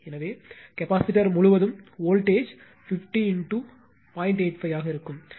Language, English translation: Tamil, Therefore, voltage across the capacitor will be 50 into 0